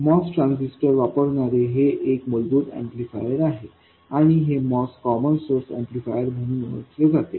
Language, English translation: Marathi, This is the very basic amplifier using a moss transistor and it is known as a moss common source amplifier